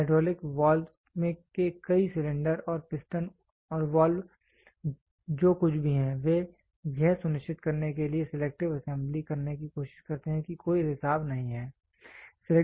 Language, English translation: Hindi, Many of the hydraulic valves the cylinder and the piston and the valve whatever it is they try to do selective assembly to make sure there is no leak